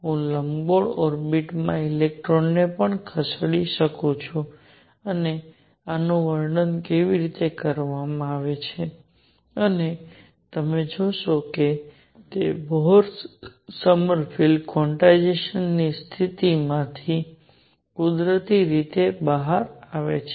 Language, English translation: Gujarati, I can also have an electron moving in an elliptical orbit and how are these described and you will see that they come out naturally from Bohr Sommerfeld quantization condition